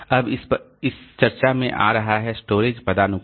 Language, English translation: Hindi, So, this is the storage hierarchy